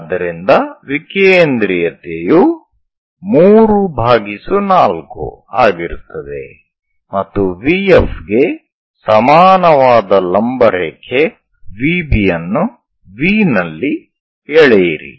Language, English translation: Kannada, So that eccentricity will be three fourth after that at V draw perpendicular VB is equal to VF